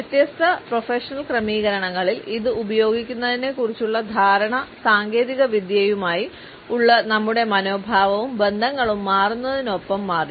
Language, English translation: Malayalam, As the technology changed our perception about it is use in different professional settings, our attitudes towards it and our relationships with it also changed